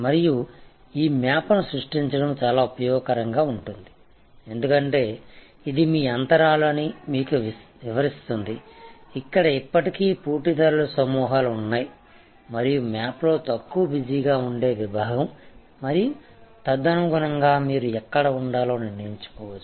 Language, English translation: Telugu, And this creating this map is very useful, because it explains to you were your gaps are, where there already clusters of competitors and which is relatively less busy segment on the map and accordingly you can decide, where to be